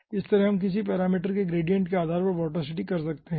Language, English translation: Hindi, similarly we can do vorticity based on gradient of some parameter